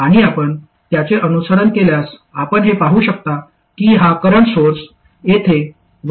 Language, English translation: Marathi, And if you follow that, you can see that this current source here it is dissipating 1